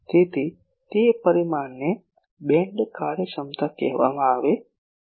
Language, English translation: Gujarati, So, that parameter is called Beam efficiency